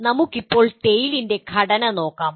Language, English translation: Malayalam, Now, let us look at the structure of the TALE